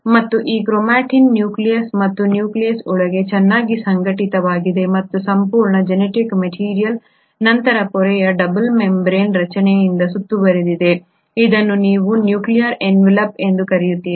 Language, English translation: Kannada, And this chromatin is very well organised inside the nucleus and the nucleus and the entire genetic material then gets surrounded by a membrane double membrane structure which is what you call as the nuclear envelope